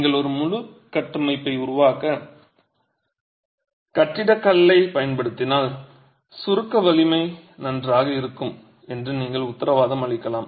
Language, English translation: Tamil, So if you use building stone to construct an entire structure, you can be guaranteed that the compressive strength is good